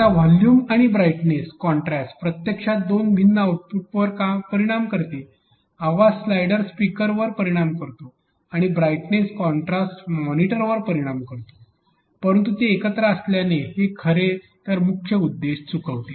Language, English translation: Marathi, Now, volume and brightness contrast actually affect two different outputs; volume affects the speakers and brightness contrast will affect the monitor, but because they are together it actually misses the point